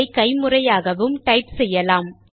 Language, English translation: Tamil, You could type this manually also